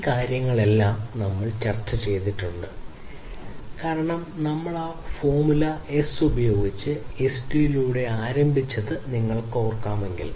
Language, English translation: Malayalam, So, all of these things we have discussed because if you recall that we started with that formula S over SD